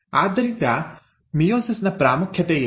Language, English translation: Kannada, So, what is the importance of meiosis